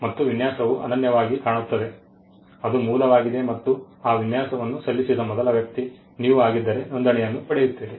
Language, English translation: Kannada, Design again the design looks unique it is original and you are the first person to file that design it gets a registration